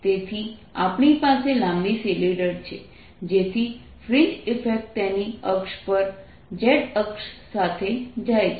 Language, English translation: Gujarati, so we have a long cylinder so that fringe effects are gone, with its axis on the z axis